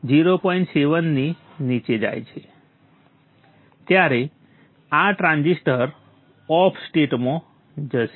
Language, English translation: Gujarati, This transistor will go to the off state